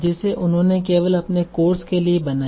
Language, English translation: Hindi, So they built it only for their own course